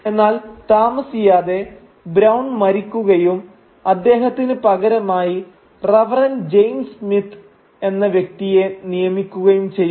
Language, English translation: Malayalam, But soon enough, Mr Brown dies and he is replaced by another figure named Reverend James Smith who, unlike Mr Brown, has a stricter outlook